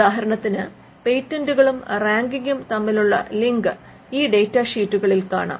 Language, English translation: Malayalam, For instance, the link between patents and ranking can be found in these data sheets